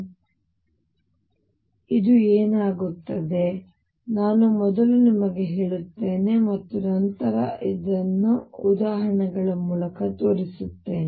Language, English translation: Kannada, So, what happens, I will just tell you first and then show this through examples